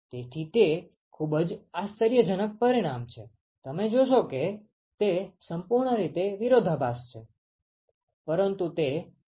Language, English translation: Gujarati, So, that is a very very starking result that you will see it is completely counter intuitive, but it is very very useful